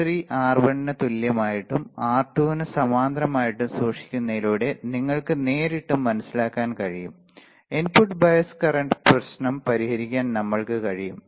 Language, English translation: Malayalam, For you directly you can understand just by keeping the R3 equals to R1 parallel to R2, we can solve the we can solve the issue of input bias current easy super easy right